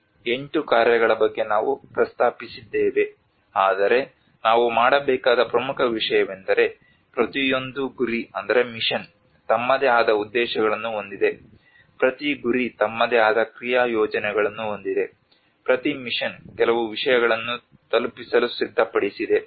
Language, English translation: Kannada, We mentioned about these eight missions, but the important thing one we have to do is every mission is have their own objectives, every mission has their own action plans, every mission has set up to deliver certain things